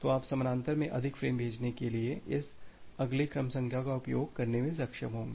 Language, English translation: Hindi, So, you will be able to utilize this next sequence number to send more frames in parallel